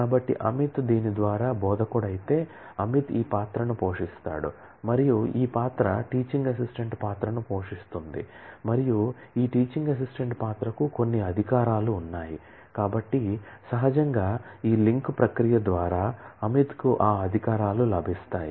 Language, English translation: Telugu, So, if Amit is an instructor by this, then Amit plays this role and this role plays teaching assistant role and this teaching assistant role has certain privileges, so naturally through this chain process Amit will get those privileges